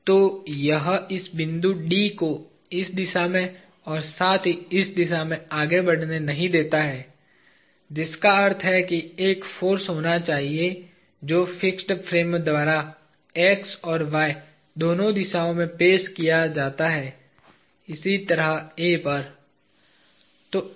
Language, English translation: Hindi, So, it does not let this point D move in this direction as well as in this direction; which means there has to be a force that is offered by the fixed frame in both x and y direction, similarly at A